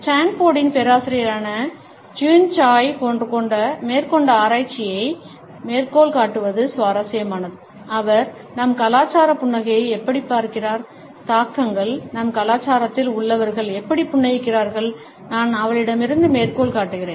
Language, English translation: Tamil, It is interesting to quote a research by Jeanne Tsai, a professor at Stanford who has suggested that how our culture views smiling, influences, how people in our culture is smile and I quote from her